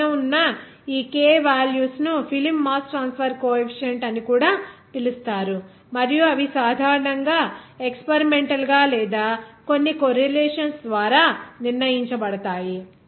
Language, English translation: Telugu, Now, these k values above are also known as film mass transfer coefficient because of that, and also they are usually determined experimentally or by some correlations